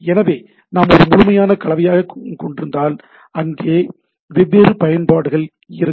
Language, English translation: Tamil, So, if we have a more holistic mix, where there are applications different applications